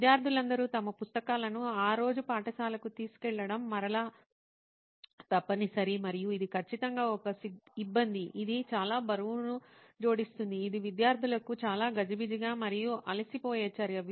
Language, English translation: Telugu, And it is again mandatory for all students to carry all their textbooks whatever they have to learn that day to school and that certainly is a hassle it is adding a lot of weight it is a very cumbersome and tiresome activity for students